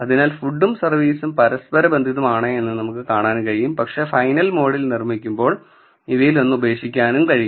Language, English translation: Malayalam, So, we can see that food and service are correlated, but one of them can be dropped while building a final model